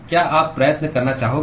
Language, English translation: Hindi, You want to try